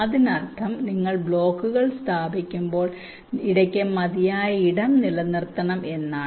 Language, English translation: Malayalam, it means that when you place the blocks you should keep sufficient space in between